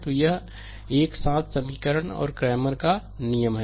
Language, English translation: Hindi, So, this is simultaneous equations and cramers rule